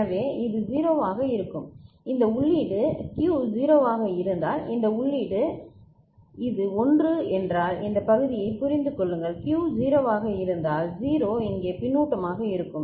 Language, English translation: Tamil, So, this will be 0 right and this input, this input if Q was 0 and this is 1 please understand this part; if Q was 0, 0 will be feedback here